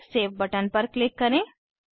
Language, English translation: Hindi, Then click on Save button